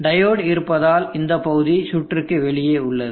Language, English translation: Tamil, This portion is out of the circuit because of the diode